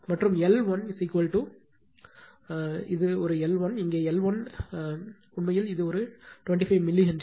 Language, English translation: Tamil, And L 1 is equal to your this one L 1, here L 1 is equal to actually this one 25 milli Henry right